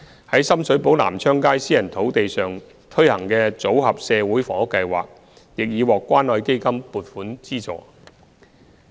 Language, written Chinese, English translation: Cantonese, 於深水埗南昌街私人土地上推行的"組合社會房屋計劃"亦已獲關愛基金撥款資助。, The Modular Social Housing Scheme on a private site on Nam Cheong Street in Sham Shui Po has also obtained funding support from the Community Care Fund